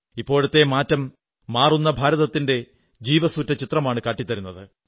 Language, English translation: Malayalam, This in itself presents the live and vibrant image of a changing India